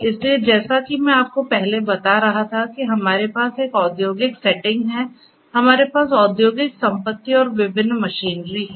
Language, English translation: Hindi, So, as I was telling you earlier we have in an industrial setting we have industrial assets and different machinery